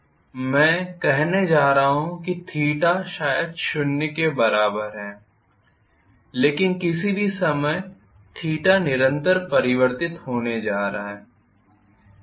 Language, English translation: Hindi, I am going to say theta probably is equal to zero but at any point in time theta is going to be continuously change